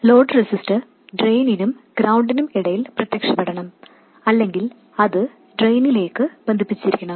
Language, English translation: Malayalam, The load register must appear between drain and ground or it must be connected to the drain